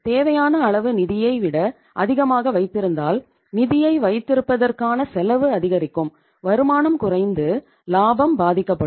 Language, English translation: Tamil, So if you keep more than the required amount of funds your cost of keeping the funds will increase, your returns will go down and profitability will be affected